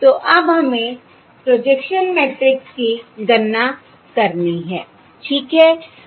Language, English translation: Hindi, okay, So now we have to compute the projection matrix